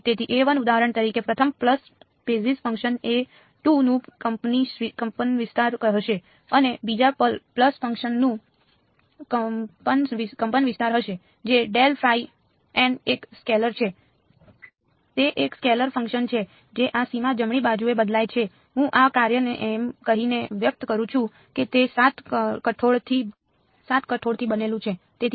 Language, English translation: Gujarati, So, a 1 for example, will be the amplitude of the first pulse basis function a 2 will be the amplitude of the second pulse function that corresponds to grad phi dot n hat grad phi dot n hat is a scalar its a scalar function that varies on this boundary right, I am expressing this function by saying that it is made up of 7 pulses